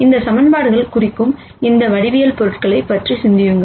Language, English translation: Tamil, And then think about what geometric objects that these equations represent